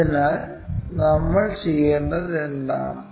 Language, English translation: Malayalam, So, what we have to do is